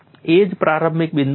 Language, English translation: Gujarati, That is a starting point